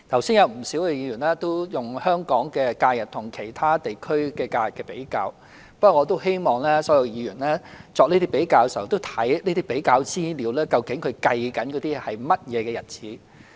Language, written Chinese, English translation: Cantonese, 不少議員剛才都用香港的假日與其他地區的假日比較，不過我希望所有議員作這些比較的時候，看看有關資料究竟計算的是甚麼日子。, A number of Members have drawn comparisons between the holidays in Hong Kong and those in other regions but I hope all Members will note which holidays are being referred to in the information provided in the comparisons